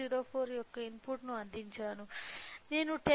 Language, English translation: Telugu, 04 I am getting output of 10